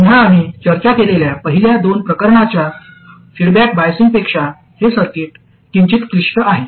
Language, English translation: Marathi, Again this circuit is slightly more complicated than the first two types of feedback biasing that we discussed